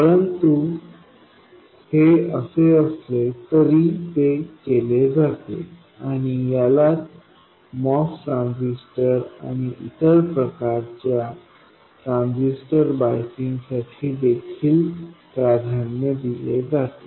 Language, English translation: Marathi, But it is nevertheless done and is the preferred way of biasing Moss transistor and also other types of transistors